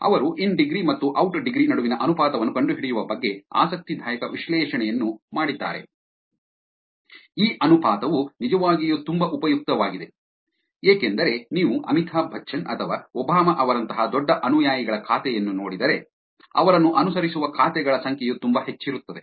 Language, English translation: Kannada, They also did an interesting analysis on finding the ratio between in degree and the out degree, this ratio is actually very useful because if you look at really large followers account like Amitabh Bachchan or Obama, the number of accounts that follows them will be very high versus the number of followings that they have is actually very low